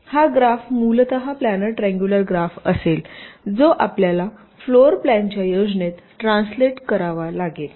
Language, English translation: Marathi, so this graph will essentially be a planer triangular graph, which you have to translate into into a floor plan